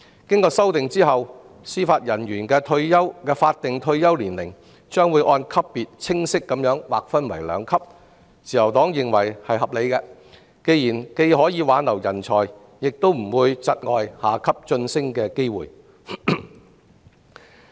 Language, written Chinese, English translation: Cantonese, 經修訂後，司法人員的法定退休年齡將劃分為兩級，自由黨認為是合理的，既可挽留人才，亦不會窒礙下級法官及司法人員晉升。, The Liberal Party considers the amended two - tier statutory retirement age system reasonable as it can retain talents and avoid creating promotion blockages for junior JJOs